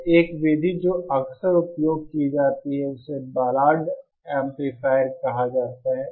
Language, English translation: Hindi, So one method that is frequently used is what is called the Ballard amplifier